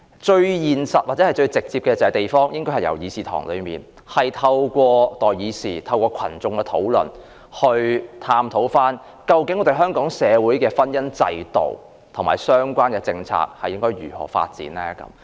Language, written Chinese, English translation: Cantonese, 最現實或最直接的做法，應該由地方開始討論，即透過代議士在議事堂內討論，或由群眾自行討論，以探討香港社會的婚姻制度及相關政策應如何發展。, The most realistic and direct approach is to start discussions among the people themselves . This means that peoples representatives should discuss this very topic in this Chamber or the masses may launch discussions among themselves so as to explore how the marriage institution and the related policies should develop in Hong Kong society